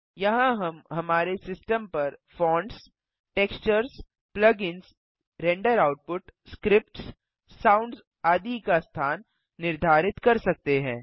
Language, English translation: Hindi, Here we can set the location of Fonts, Textures, Plugins, Render output, Scripts, Sounds, etc